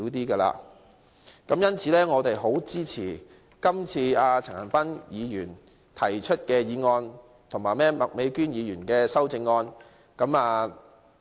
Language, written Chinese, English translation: Cantonese, 所以，我們十分支持陳恒鑌議員提出的議案及麥美娟議員的修正案。, Hence we strongly support Mr CHAN Han - pans motion and Ms Alice MAKs amendment